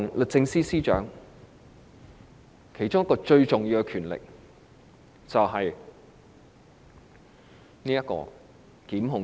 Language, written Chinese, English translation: Cantonese, 律政司司長最重要的權力是檢控權。, Prosecution is the most important power of the Secretary for Justice